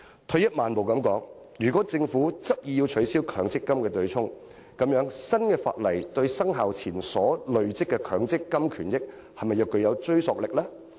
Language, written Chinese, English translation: Cantonese, 退一萬步來說，如果政府執意要取消強積金對沖機制，新法例對生效前所累積的強積金權益是否具追溯力？, In any case if the Government insists on abolishing the MPF offsetting mechanism will the new legislation have any retrospective effect on the MPF benefits accrued before the commencement of the legislation?